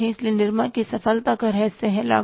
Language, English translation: Hindi, So, secret of the success of the Nirmai is what